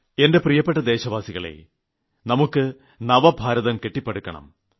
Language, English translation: Malayalam, My dear Countrymen, we have to build a modern India